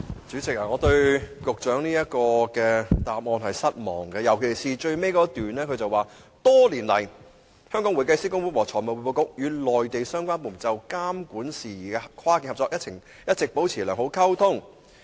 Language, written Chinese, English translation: Cantonese, 主席，我對局長的主體答覆感到失望，尤其是最後一段所述："多年來，香港會計師公會和財務匯報局與內地相關部門就監管事宜的跨境合作一直保持良好溝通。, President I am disappointed at the Secretarys main reply especially the last paragraph which states Over the years HKICPA and FRC have maintained good communication with the relevant Mainland authorities on cross - boundary regulatory cooperation